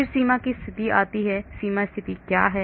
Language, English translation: Hindi, Then comes the boundary conditions, what is this boundary condition